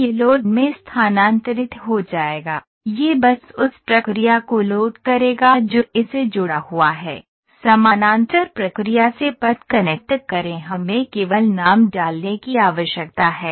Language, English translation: Hindi, So, it will transfer into load it will just load the process it is connected, connect path from the parallel process we just need to put the name